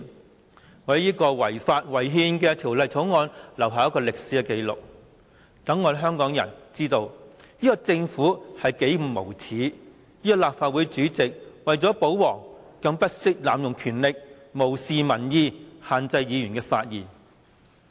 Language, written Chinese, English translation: Cantonese, 我要為這項違法違憲的《條例草案》留下歷史紀錄，好讓香港人知道這個政府有多無耻；這個立法會主席為了保皇，不惜濫用權力，無視民意，限制議員發言。, I have to put it on record that this Bill is unconstitutional so that Hong Kong people will be able to learn the shamelessness of the Government; and the fact that the Chairman of Legislative Council has abused his power in order to disregard public opinions and restrict Members right to speak